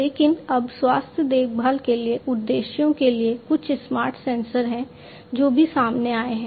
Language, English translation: Hindi, But now there are some smarter sensors for healthcare purposes that have also come up